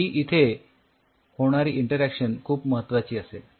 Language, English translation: Marathi, This interaction what will be happening here is very critical